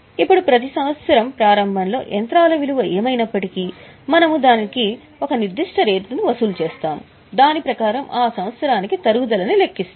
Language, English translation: Telugu, Now, every year whatever is a value of machinery at the beginning, we charge it at a particular rate and calculate the depreciation for that year